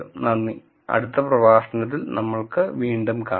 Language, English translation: Malayalam, Thank you and I will see you in the next lecture